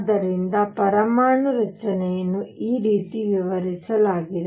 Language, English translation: Kannada, So, this is how the atomic structure was explained